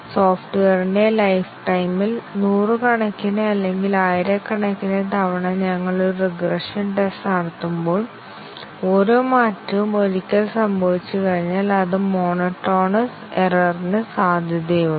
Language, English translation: Malayalam, and when we run a regression test hundreds or thousands of time during the lifetime of the software, after each change occurs once then, it becomes monotonous error prone